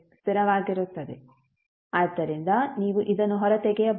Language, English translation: Kannada, So you can take it out